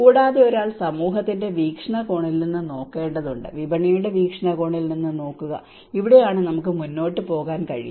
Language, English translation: Malayalam, And one need to look from the community perspective, look from the market perspective, and this is how we can go ahead with it